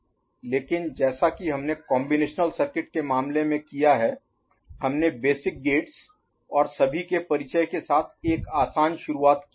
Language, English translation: Hindi, But as we have done in case of combinatorial circuit we made a soft start with introduction of basic gates and all